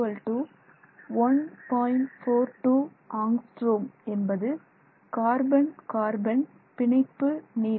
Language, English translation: Tamil, 42 angstroms this is the carbon carbon bond length so this number ACC equals 1